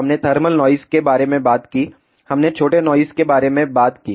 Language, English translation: Hindi, We talked about thermal noise, we talked about short noise